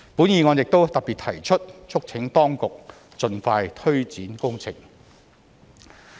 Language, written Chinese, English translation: Cantonese, 議案亦特別提出促請當局盡快推展工程。, The motion has specifically urged the authorities to expeditiously take forward this project